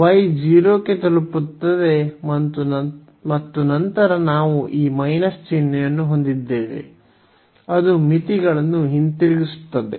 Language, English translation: Kannada, So, y will approach to 0 and then we have this minus sign so, which will revert the limits